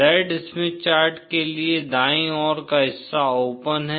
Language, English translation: Hindi, For the Z Smith chart, the right hand side is open